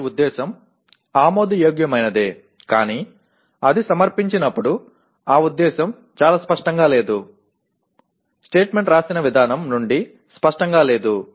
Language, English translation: Telugu, Their intention is okay but when it is presented that intention is not very clearly is not clear from the way the statement is written